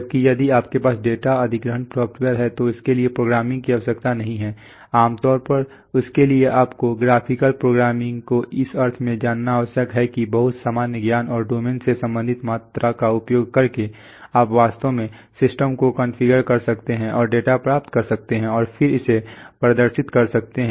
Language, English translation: Hindi, While if you have the data acquisition software then it does not require programming, generally it requires you know graphical programming in the sense that using very common sense and domain related quantities you can actually figure, configure the system and get data and then displayed it